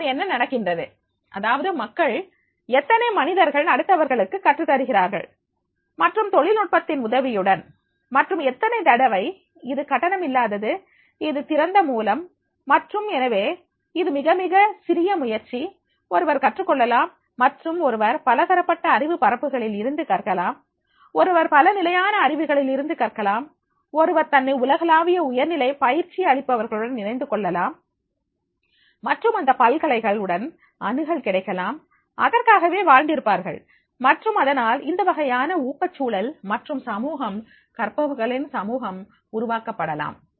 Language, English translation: Tamil, Now what is happening is that people, there are people are trying to educate others and through with the help of technology and many times it is the free of it is open source and therefore it is very with the very very little first the one can learn and the one can learn in the different areas of knowledge one can learn different levels of knowledge one can get associated with the global high class trainers and can get access to those universities where they are dreaming for and therefore this type of the motivational environment and the communities, communities of learners that will be developed